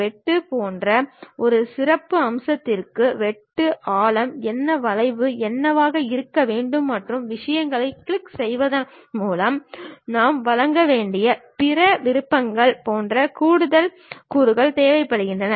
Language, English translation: Tamil, A specialized feature like cut requires additional components like what is the depth of cut, what should be the arc and other options we may have to provide by clicking the things